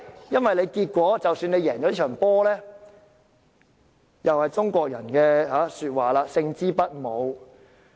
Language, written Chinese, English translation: Cantonese, 因為即使得勝也如中國古語所言，"勝之不武"。, Even if they win as the Chinese ancient saying goes their victory is ignominious